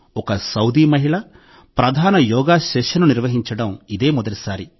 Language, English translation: Telugu, This is the first time a Saudi woman has instructed a main yoga session